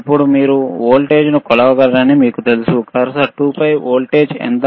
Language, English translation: Telugu, nNow you know you can measure the voltage, what is the voltage oron cursor 2